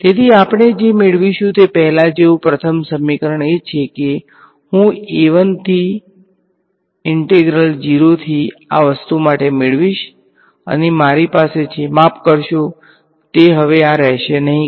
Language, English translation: Gujarati, So, the first equation as before what we will get is I will get a 1 integral from 0 to this thing and I have sorry they will not be this anymore